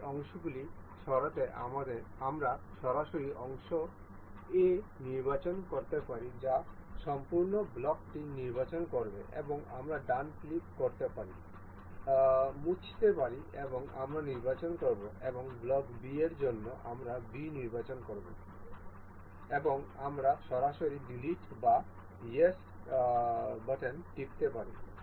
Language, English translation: Bengali, To remove these parts we can directly select the part this A that will select the complete block and we can right click, delete and we will select ok and for block B we will select B and we can directly press delete or yes